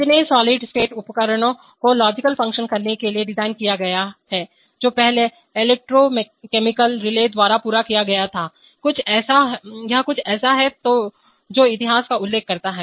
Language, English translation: Hindi, So solid state device designed to perform logical functions, what previously accomplished by electromechanical relays, this is something which mentions the history